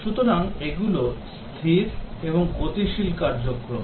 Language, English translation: Bengali, So, these are static and dynamic activities